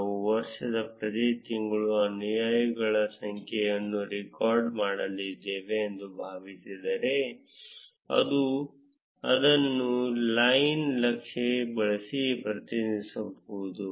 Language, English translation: Kannada, Assuming that we recorded the number of followers for each month of the year, we can represent it using a line chart